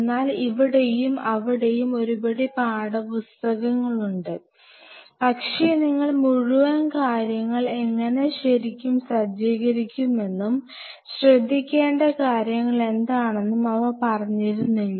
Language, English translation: Malayalam, So, there are handful of textbooks here and there, but not really telling you how really you set up the whole thing what are the points you have to keep in mind